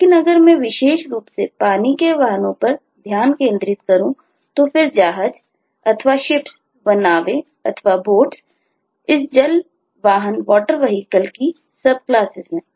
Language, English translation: Hindi, if i specifically focus on the water vehicles, then the ships, the boats, they are the subclasses of this water vehicle